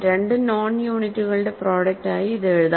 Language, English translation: Malayalam, So, it can be written as a product of two non units